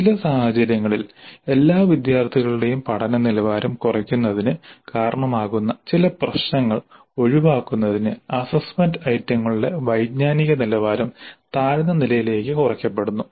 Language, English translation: Malayalam, And in some cases the cognitive levels of assessment items are reduced to lower levels to avoid some of these issues resulting in reducing the quality of learning of all students